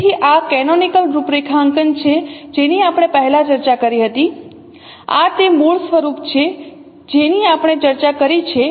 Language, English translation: Gujarati, So this is the canonical configuration what we discussed earlier